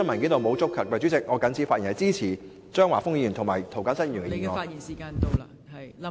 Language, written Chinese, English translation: Cantonese, 代理主席，我謹此發言，支持張華峰議員的議案及涂謹申議員的修正案。, Deputy President I so submit . I support Mr Christopher CHEUNGs motion and Mr James TOs amendment